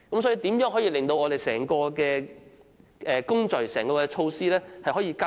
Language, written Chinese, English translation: Cantonese, 所以，如何可令整個工序和整項措施加快？, In this case how can the process of medical examination be sped up?